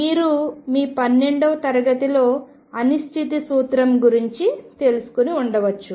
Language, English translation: Telugu, You may have learned about uncertainty principle in your 12 th grade this is the statement